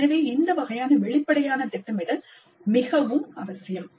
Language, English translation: Tamil, So this kind of upfront planning is very essential